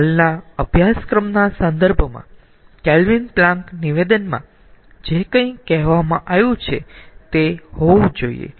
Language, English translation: Gujarati, so, in connection with the present course, whatever has been told in kelvin planck statement, we have to have that